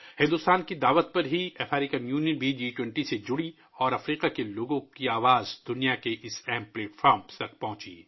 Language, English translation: Urdu, The African Union also joined the G20 on India's invitation and the voice of the people of Africa reached this important platform of the world